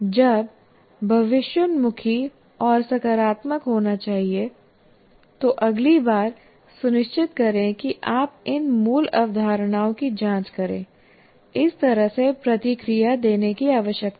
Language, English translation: Hindi, When they should be forward looking and positive, next time make sure you check out these core concepts